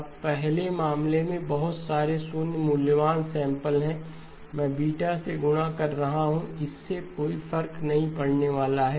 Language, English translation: Hindi, Now in the first case there are lots of zero valued samples, I am multiplying by beta, it is not going to make any difference